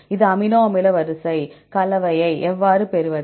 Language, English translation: Tamil, This is amino acid sequence, how to get the composition